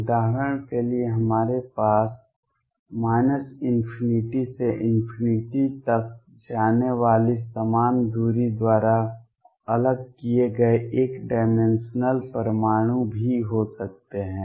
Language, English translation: Hindi, We can also have for example, one dimensional atoms separated by equal distances going all the way from minus infinity to infinity